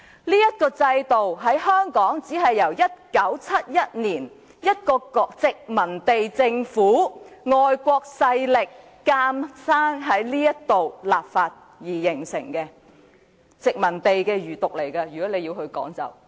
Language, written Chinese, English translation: Cantonese, 在香港，這制度只是在1971年由一個殖民地政府、外國勢力強行在這地方立法而形成的，可以說是殖民地的餘毒。, In Hong Kong this system was established through legislation imposed by a colonial government or a foreign power only in 1971 and so it can be regarded as the evil legacy of the colony